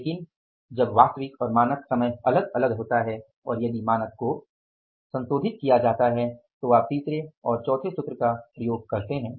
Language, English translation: Hindi, But when the actual and the standard time is different and if the standard is revised also, you are using the third and the fourth formula